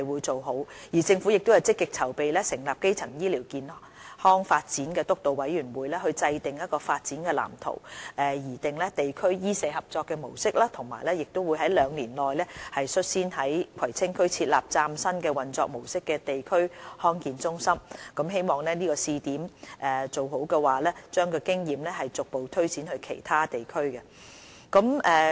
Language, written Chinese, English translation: Cantonese, 政府亦正積極籌備成立基層醫療發展督導委員會，以制訂發展藍圖、擬訂地區醫社合作的模式，以及在兩年內率先於葵青區設立以嶄新模式運作的地區康健中心，希望做好試點，將經驗逐步推展至其他地區。, The Government is also actively preparing for the establishment of a steering committee on primary health care with a view to formulating a development blueprint and drawing up a model for district - based medical - social collaboration . We will also set up a district health centre with a brand new operation mode in Kwai Tsing District within two years . By conducting the pilot scheme properly we hope to draw on the experience and progressively extend the scheme to other districts